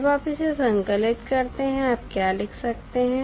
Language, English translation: Hindi, So, when you compile this, what you can write